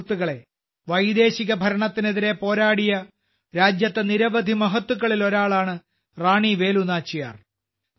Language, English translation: Malayalam, Friends, the name of Rani Velu Nachiyar is also one among the many great personalities of the country who fought against foreign rule